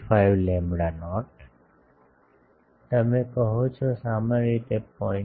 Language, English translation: Gujarati, 45 lambda not, you say typically less than 0